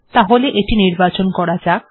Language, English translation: Bengali, So let me select it